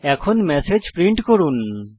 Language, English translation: Bengali, Now, lets print a message